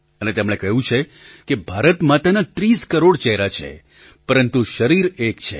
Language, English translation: Gujarati, And he said that Mother India has 30 crore faces, but one body